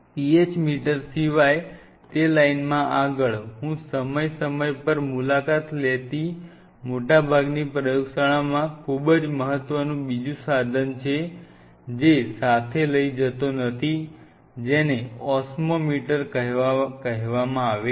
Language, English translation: Gujarati, Next in that line apart from PH meter, will be another instrument which most of the labs I visit time to time do not carry with something which is very important that is called Osmometer